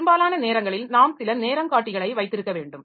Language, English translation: Tamil, Many a time we need to have some timers